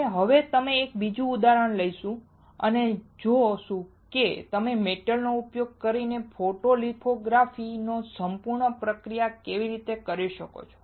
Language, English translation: Gujarati, And now we will take a different example and we will see how can you do a complete process of photolithography using a metal